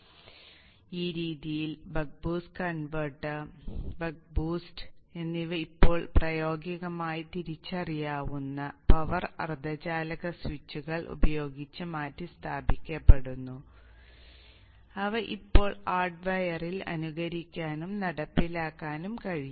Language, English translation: Malayalam, So in this way the buck, the boost and the buck boost are now replaced with practical realizable power semiconductor switches which can now be simulated and even implemented in hardware